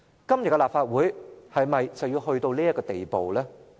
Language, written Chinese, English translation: Cantonese, 今天的立法會是否去到這地步？, Should the Legislative Council today be relegated to such a state?